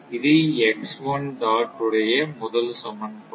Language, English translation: Tamil, This is second equation, third equation